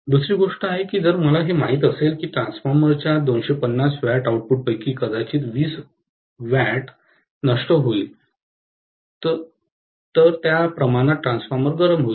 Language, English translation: Marathi, Second thing is if I know that out of the 250 watts output of a transformer, maybe it is going to dissipate 20 watts, to that extent the transformer will get heated up